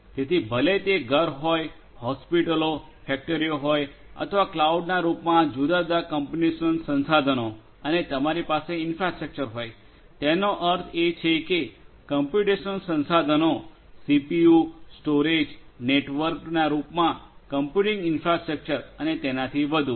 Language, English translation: Gujarati, So, you know whether it is home, hospitals factories or whatever there are different computational resources available in the form of cloud and you will have infrastructure; that means computing infrastructure in the form of computational resources CPU, storage, network and so on